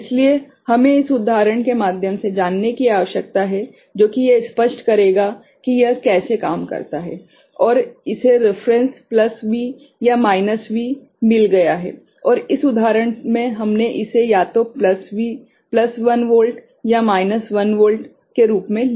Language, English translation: Hindi, So, we need to go through this example which will be, which will make it clearer how it works right and this has got a reference plus V or minus V right, and in this example we have taken it as either plus 1 volt or minus 1 volt